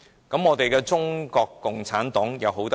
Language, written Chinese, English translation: Cantonese, 然而，中國共產黨又好到哪裏？, However is CPC any better than the Japanese?